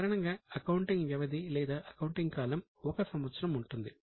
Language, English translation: Telugu, Normally there is a one year accounting period